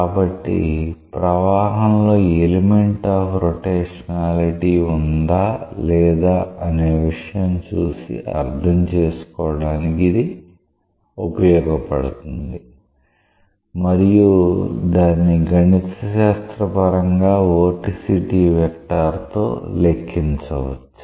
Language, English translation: Telugu, So, that will give a visual understanding of whether the flow has an element of rotationality or not and that mathematically is quantified by the vorticity vector